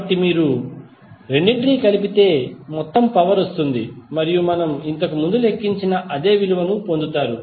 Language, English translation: Telugu, So, therefore the total power you have to just add both of them and you will get the same value as we calculated previously